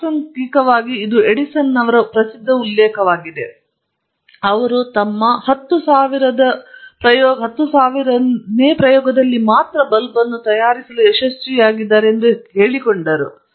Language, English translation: Kannada, Incidentally, this is a famous quotation of Edison that said, I mean they asked him I believe he succeeded in making the light bulb only out in his 10,000th trial